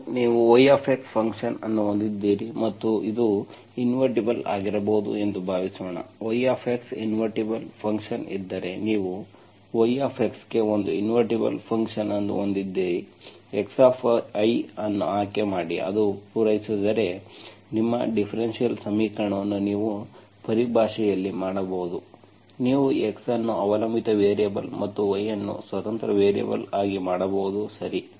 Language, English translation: Kannada, And suppose you have a function yx and that can be invertible, if there is invertible function yx, you have an invertible function for yx, select x of y, that satisfies, if, if that is the case you can make your differential equation in terms of, you can make x as dependent variable and y as independent variable, okay